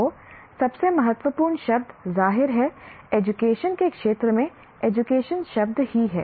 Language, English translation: Hindi, So the most important word obviously in education field is the word education itself